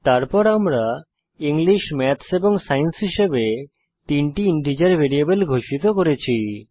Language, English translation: Bengali, Then we have declared three integer variables as english, maths and science